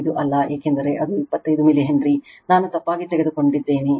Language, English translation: Kannada, 5, because it is 25 milli Henry by mistake I took it